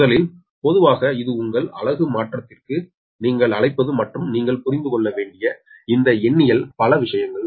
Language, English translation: Tamil, so first, generally, this, ah, your, what you call this per unit transformation and this numerical, many things you have to understand